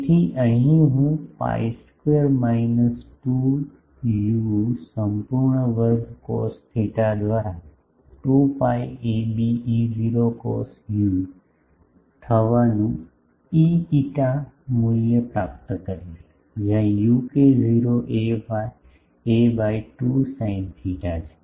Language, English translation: Gujarati, So, here I will get the e phi value to be 2 pi a b E not cos u by pi square minus 2 u whole square cos theta, where u is k not a by 2 sin theta